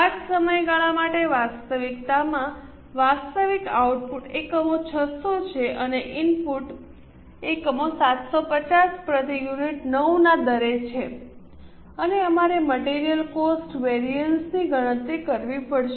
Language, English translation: Gujarati, In reality for the same period the actual output units are 600 and the input units are 750 at 9 per unit and we have to compute material cost variances